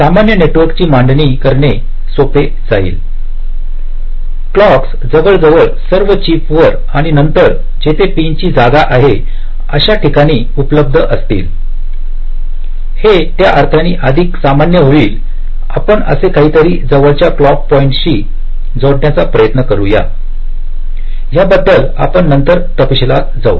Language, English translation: Marathi, it will be more generic in the sense that clocks will be available almost all throughout the chip and then the exact pin location, wherever they are, you try to connect to the nearest clock point, something like that